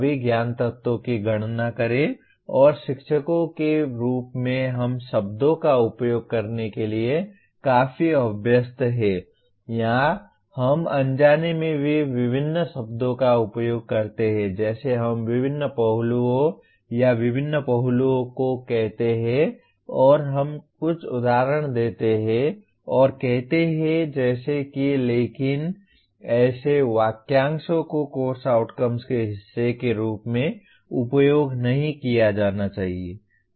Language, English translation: Hindi, Enumerate all the knowledge elements and as teachers we are quite used to using the words or we inadvertently also use the words various, different; like we say different aspects or various aspects and we give some examples and say such as but such phrases should not be used as a part of course outcome